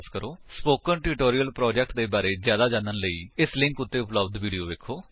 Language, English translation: Punjabi, To know more about the Spoken Tutorial project, watch the video available at the following link [1]